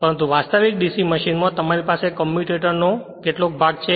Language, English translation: Gujarati, And but in the in the actual DC machine you have you have several segment of the commutators